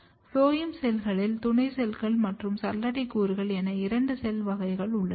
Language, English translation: Tamil, In phloem cell, we have two cell types the companion cells and sieve elements